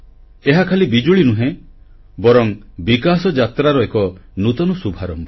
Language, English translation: Odia, This is not just electricity, but a new beginning of a period of development